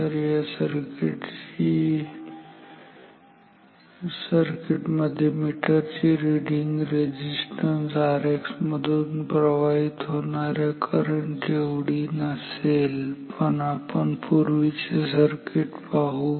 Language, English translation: Marathi, So, this circuit in this circuit ammeter reading is not same as the current through R X but let us see through the previous circuit